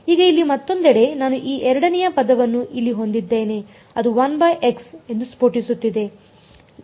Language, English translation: Kannada, Now on the other hand over here I have this other this second term over here which is blowing up as 1 by x